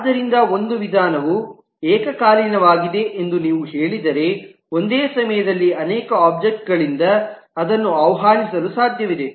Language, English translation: Kannada, So if you say that a method is concurrent, then it is possible to invoke it by multiple objects at the same time